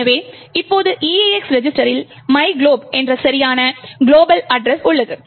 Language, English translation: Tamil, So now EAX register has the correct address of myglob, the global address